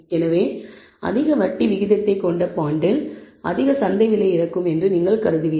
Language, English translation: Tamil, So, you would presume that the bond which has a higher interest rate would have a higher market price